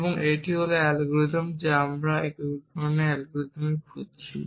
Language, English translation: Bengali, And that is algorithm that we are looking for unification algorithm